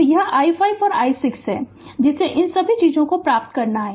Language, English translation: Hindi, So, this is i 5 and i 6 that all this things, you have to obtain